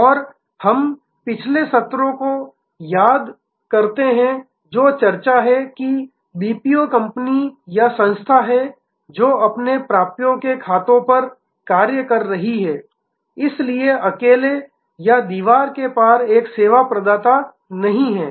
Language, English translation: Hindi, And we must recall the previous sessions that discussion that is BPO company or entity, that is doing their account receivable work therefore, is not a sort of stand alone or across the wall a service provider